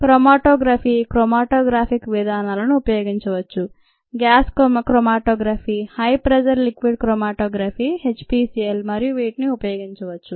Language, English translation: Telugu, chromatography, matographic methods can be used: gascromatography, high pressure liquid chromatography, HPLC, so on